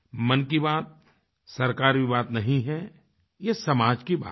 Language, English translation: Hindi, Mann Ki Baat is not about the Government it is about the society